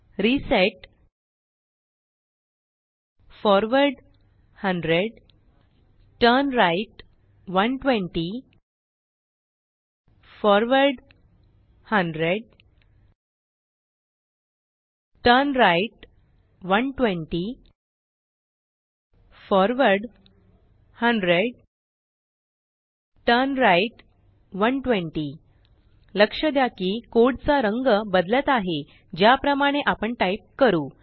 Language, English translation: Marathi, In your editor, type the following commands: reset forward 100 turnright 120 forward 100 turnright 120 forward 100 turnright 120 Note that the color of the code changes as we type